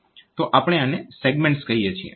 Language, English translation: Gujarati, So, we call this segments ok